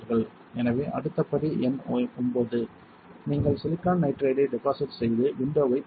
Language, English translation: Tamil, So, next step step number 9 would be you you deposit silicon nitride and open windows